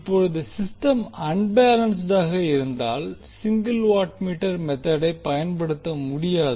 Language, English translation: Tamil, Now if the system is unbalanced, in that case the single watt meter method cannot be utilized